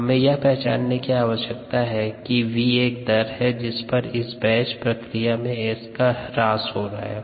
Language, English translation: Hindi, so to find s, we need to recognize that ah, v is the rate, the rate at which s is disappearing in the in this batch process